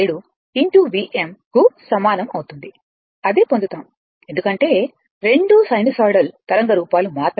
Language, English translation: Telugu, 637 into V m same you will get because, both are sinusoidal waveform only right